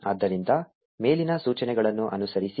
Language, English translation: Kannada, So, follow the instructions on the top